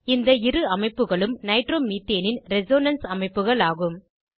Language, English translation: Tamil, The two structures are Resonance structures of Nitromethane.